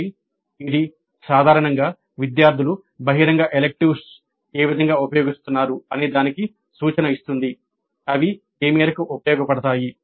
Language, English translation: Telugu, So this in general will give us an indication as to in what way the open electives are being used by the students to what extent they find them useful